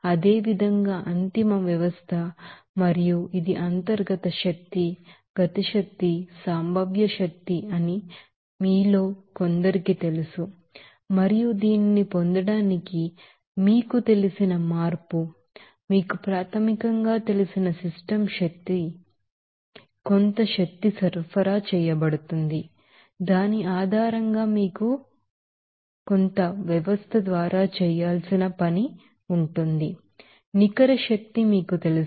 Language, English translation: Telugu, And similarly, final system and it also will be as some of you know that internal energy, kinetic energy and potential energy and to get this you know change of this you know initial to final you know system energy that some energy to be supplied and based on which you will see there will be some, you know work to be done by the system